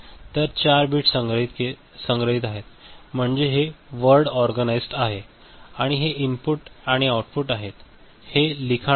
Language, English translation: Marathi, So, 4 bits are stored so, it is word organized right and these are these input and output this writing is, this is common